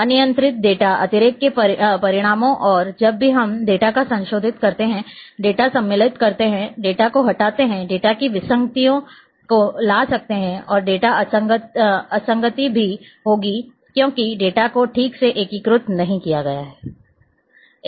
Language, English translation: Hindi, Results of uncontrolled data redundancy and whenever we modify the data, insert the data, deletion of the data, may bring the anomalies in the data and data inconsistency is also there because the data has not been properly integrated